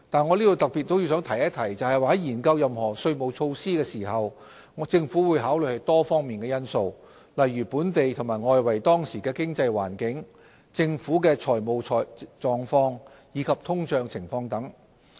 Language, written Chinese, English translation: Cantonese, 我也要特別提出，在研究任何稅務措施時，政府會考慮多方面因素，例如本地和外圍當時的經濟環境、政府的財務狀況，以及通脹情況等。, I would like to point out in particular that when studying any tax measures the Government will take into account factors in various areas such as the prevailing local and external economic environment the financial position of the Government and inflation